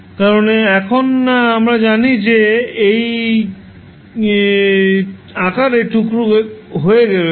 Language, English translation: Bengali, Because now we know, that it is decompose into this form